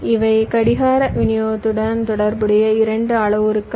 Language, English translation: Tamil, these are two parameters which relate to clock distribution